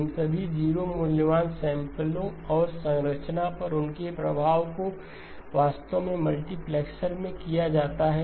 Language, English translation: Hindi, All of these 0 valued samples and their effect on the structure is actually taken up into the multiplexer